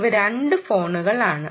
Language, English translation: Malayalam, ok, these are two phones